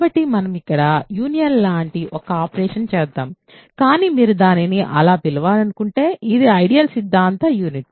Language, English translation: Telugu, So, let us do one operation here which is similar to union ok, but it is the ideal theoretic union if you want to call it that